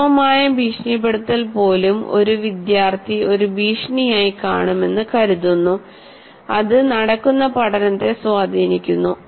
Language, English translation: Malayalam, Even subtle intimidation, a student feels he will look at it as a threat and that has effect on the learning that takes place